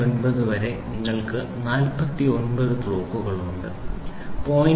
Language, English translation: Malayalam, 49 in the step size of this you have 49 blocks, 0